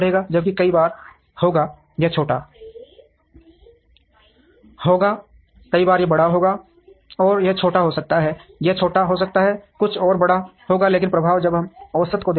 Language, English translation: Hindi, While, there will be times, this will be small, this will be large, and this could be small, this could be small, something else would be large, but the effect when we look at the average